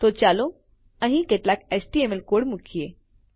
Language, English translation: Gujarati, So lets put some html code here